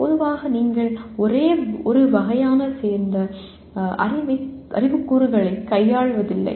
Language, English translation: Tamil, Generally you are not dealing with knowledge elements belonging to only one category